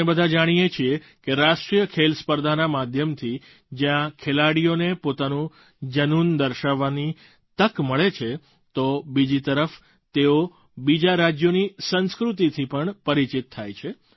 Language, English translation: Gujarati, We all know that National Games is an arena, where players get a chance to display their passion besides becoming acquainted with the culture of other states